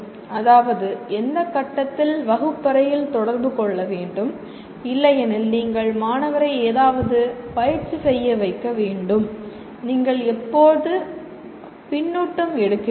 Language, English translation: Tamil, That means at what point of interaction in the classroom or otherwise you have to make student to practice something and when do you take the feedback